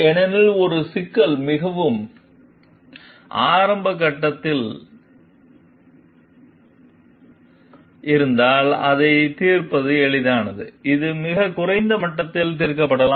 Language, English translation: Tamil, Because, if a problem is squat at an very early stage, it is easier to solve also, it can be solved at very maybe lower level